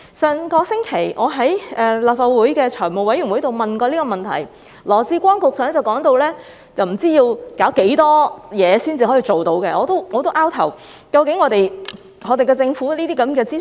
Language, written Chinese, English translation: Cantonese, 上星期，我在立法會財務委員會上也曾提出這問題，羅致光局長當時說到不知要做多少程序才能辦到，令我摸不着頭腦。, Last week I asked the same question at the meeting of the Finance Committee of the Legislative Council . At that time Secretary Dr LAW Chi - kwong said that it would involve a lot of procedures to do this and that had got me baffled